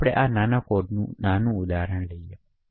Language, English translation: Gujarati, Now we will take a small example of such a code